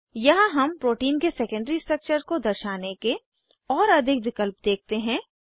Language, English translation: Hindi, Here we see many more options to display secondary structure of protein